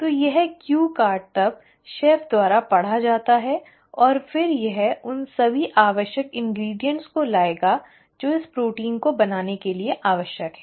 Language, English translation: Hindi, So this cue card is then read by the chef and then it will bring in all the necessary ingredients which are needed to make this protein